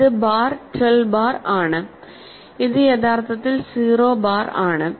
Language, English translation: Malayalam, So, a 3 bar is equal to 9 bar